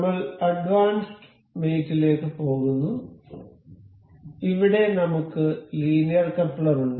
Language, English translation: Malayalam, We will go to mate to advanced mate, then here we have linear coupler